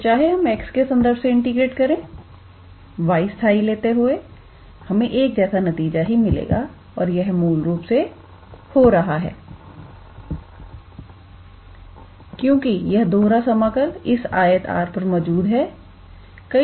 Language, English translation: Hindi, So, even if we integrate with respect to x first by treating y as constant we would obtain the similar result and this is basically happening because this double integral exists on this rectangle R